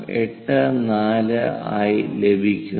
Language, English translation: Malayalam, 84 number we have to use